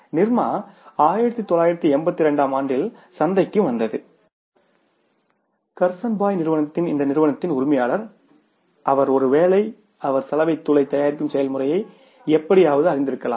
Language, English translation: Tamil, Nirma came up in the market in 1982 and this owner of this company, Kurson Vai, he was maybe he was somehow knowing the process of manufacturing the washing powder